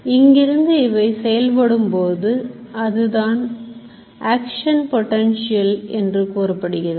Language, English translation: Tamil, From there what it fires is called an action potential